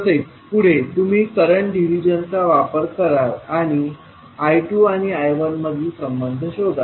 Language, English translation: Marathi, Now, next is you will use the current division and find out the relationship between I 2 and I 1